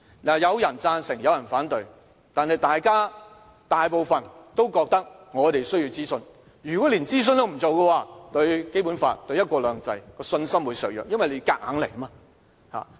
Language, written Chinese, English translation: Cantonese, 有人贊成，有人反對，但大部分都覺得我們需要諮詢，如果連諮詢也不做，會削弱對《基本法》和"一國兩制"的信心，因為政府是硬來。, Some support the proposal and some others oppose it but a majority of them think there is a need for consultation . The absence of any consultations will weaken their confidence in the Basic Law and one country two systems as they consider the Government just seeks to force the proposal through